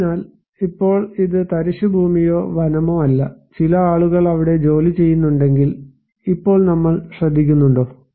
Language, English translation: Malayalam, So, now if it is not a barren land or a forest, but some people are working there, then do we care now